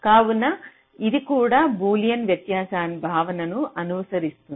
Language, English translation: Telugu, so this also follows from the boolean difference concept